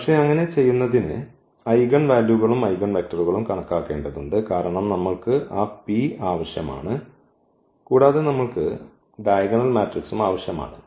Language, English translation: Malayalam, So, but to do so, we have to compute the eigenvalues and also the eigenvectors, because we need that P and we also need that diagonal matrix